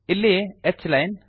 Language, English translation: Kannada, H line here